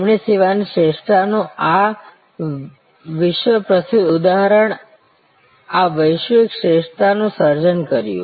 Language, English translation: Gujarati, He created this global excellence this world famous example of service excellence